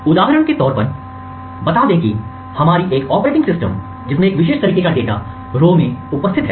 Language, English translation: Hindi, For example let us say that we have operating system specific data present in this specific row